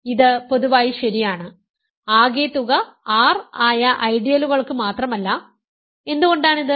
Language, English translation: Malayalam, So, this is in general true not just for ideals whose sum is R, why is this